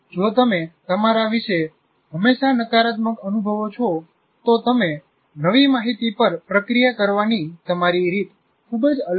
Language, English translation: Gujarati, If you feel all the time negative about yourself, the way you will process new information will be very different